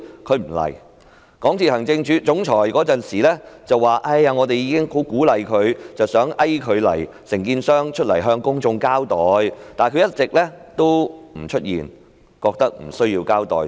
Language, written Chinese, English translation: Cantonese, 港鐵公司的行政總裁當時說已經十分努力鼓勵和遊說承建商向公眾交代，但他們一直沒有出現，認為無須交代。, The Chief Executive Officer of MTRCL said at the time that great efforts had been made to encourage and persuade the contractor to give an account of the incident to the public but they had all along not shown up and considered it unnecessary to give any explanation